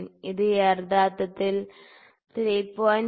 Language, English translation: Malayalam, This is actually 3